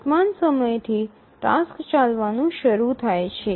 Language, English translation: Gujarati, So, from the current time the task is started executing